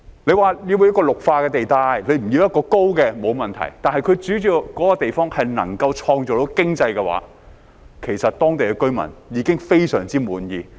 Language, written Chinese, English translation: Cantonese, 若說要作為綠化地帶，不要建高樓，沒問題，但只要那個地方能夠創造經濟效益的話，其實當地居民已非常滿意。, If no high - rise buildings are allowed in the area which serves as a Green Belt that is fine but as long as it can generate economic benefits the local residents will be very contented indeed